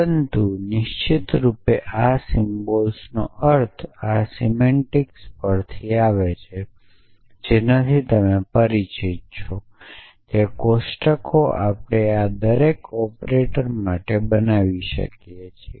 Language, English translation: Gujarati, But off course, the meaning of this symbols calms from this semantics and which as you are familiar with is given by the through tables at we can construct for each of these operators